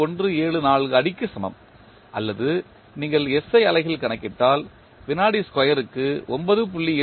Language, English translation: Tamil, 174 feet per second square or in SI unit if you are calculating g will be 9